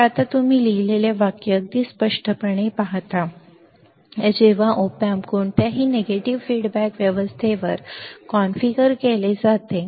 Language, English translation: Marathi, So, now, you see the sentence very clearly what is written, when op amp is configured in any negative feedback arrangement